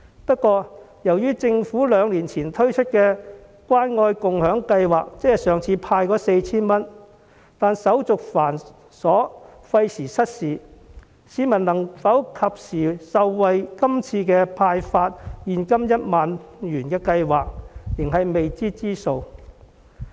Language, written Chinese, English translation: Cantonese, 不過，由於政府兩年前透過關愛共享計劃派發 4,000 元時手續繁瑣，廢時失事，市民能否及時受惠於今次派發現金 10,000 元的計劃，仍是未知之數。, However as the distribution of the 4,000 handout under the Caring and Sharing Scheme two years ago was cumbersome and time - consuming whether people can benefit from the 10,000 cash handout this time promptly remains to be seen